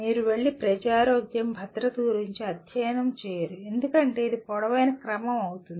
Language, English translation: Telugu, You are not going to go and study public health, safety because it will become a tall order